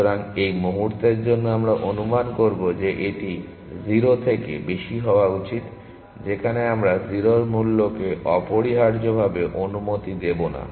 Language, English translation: Bengali, So, for the moment, we will assume that this should be greater than 0, where we will not even allow 0 cost essentially